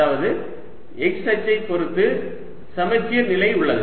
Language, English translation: Tamil, that means there's symmetry about the z axis